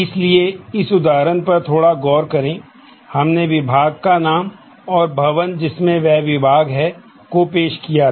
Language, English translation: Hindi, So, let us have a little look into this for example, we have introduced the department name and the building in which the department is housed